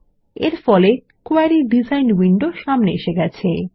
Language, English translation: Bengali, This brings the Query design window to the foreground